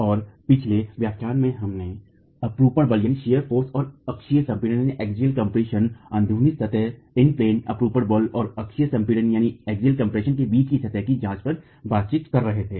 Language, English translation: Hindi, And in the last lecture, we were examining the interaction surface between shear force and axial compression, in plain shear force and axial compression